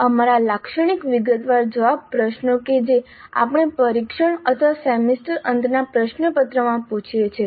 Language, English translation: Gujarati, Our typical detailed answer questions that we ask in a test or semester end question paper, they belong to the supply type items